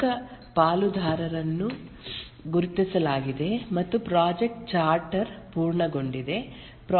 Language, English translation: Kannada, The key stakeholders are identified and the project chatter is completed